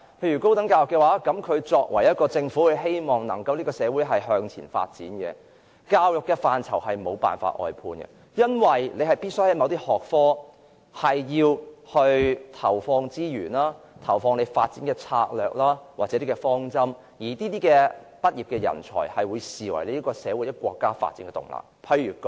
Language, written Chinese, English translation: Cantonese, 以高等教育為例，如果政府希望社會能夠發展，教育範疇便不會出現外判的情況，因為某些學科必須投放資源，訂定發展策略或方針，畢業生也會被視為社會或國家發展的動力。, Let me cite higher education as an example . Should the Government hope to pursue social development outsourcing would not have been found in the education area because resources must be injected into certain disciplines for the formulation of development strategies or approaches . Graduates will be regarded as the drive for social or national development too